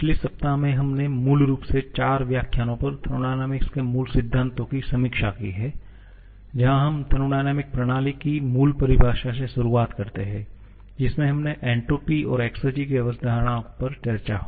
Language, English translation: Hindi, In previous week, we have basically reviewed the fundamentals of thermodynamics over 4 lectures where starting from the basic definition of a thermodynamic system we went on to discuss the concepts of entropy and exergy